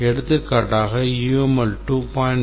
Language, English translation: Tamil, For example, I may say that we have to use UML 2